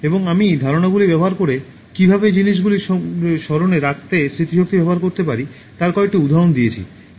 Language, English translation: Bengali, And I gave some examples as how you can use memory to remember things by using association of ideas